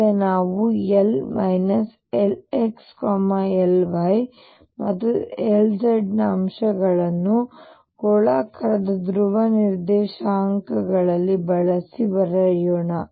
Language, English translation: Kannada, Let us now write the components of L L x, L y and L z using spherical polar coordinates